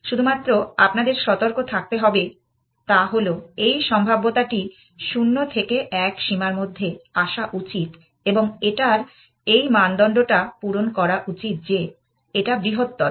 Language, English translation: Bengali, The only thing you have to be careful is that, this being probability it should come in the range 0 to 1 and it should satisfy this criteria that the larger this is